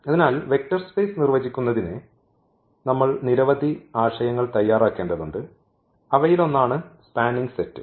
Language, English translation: Malayalam, So, to define the Vector Space we need to prepare for many concepts and this is one of them so, called the spanning set